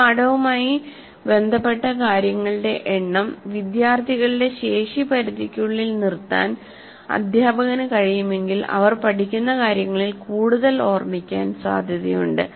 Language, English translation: Malayalam, So if the teacher can keep the number of items related to a lesson outcome within the capacity limits of students, they are likely to remember more of what they learned